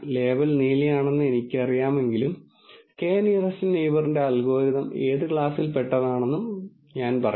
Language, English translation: Malayalam, Though I know the label is blue, what class would k nearest neighbor algorithm say this point belongs to